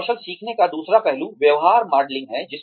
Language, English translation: Hindi, The second aspect of learning a skill, is behavior modelling